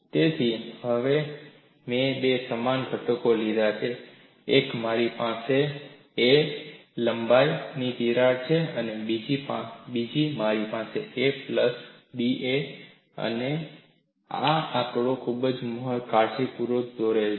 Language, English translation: Gujarati, So, now I have taken two similar components: one, you have a crack of length a, another you have a crack of length a plus d a and this figures are also drawn very carefully